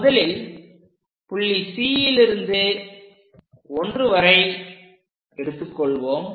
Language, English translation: Tamil, Let us pick first point C to 1; it goes all the way up to that point